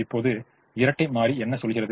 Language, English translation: Tamil, now what does the dual tell me